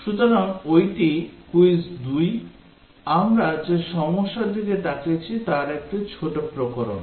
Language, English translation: Bengali, So, that is Quiz 2, a small variation of the problem that we have looked at